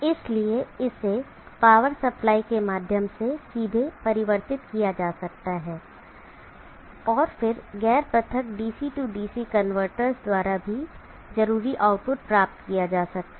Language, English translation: Hindi, So that can be directly converted through a power supply and then the required output can be obtained by non isolated DC DC converters too